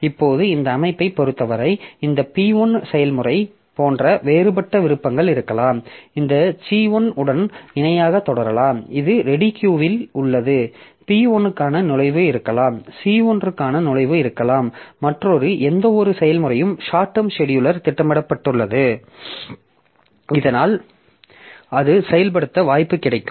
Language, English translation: Tamil, Now as far as this system is concerned so there may be different options like this P1 process it may continue parallel with C1 like in the ready Q that I have I may have the entry for P1 as well as the entry for C1 and whichever process is scheduled by the short term scheduler so that will get transfer execution, P1 or C1 may execute